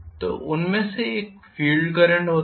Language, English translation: Hindi, So one of them happens to be the field current